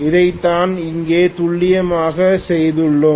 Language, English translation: Tamil, That is what we have done precisely here